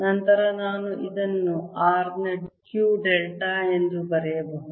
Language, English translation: Kannada, then i can write this as q delta of r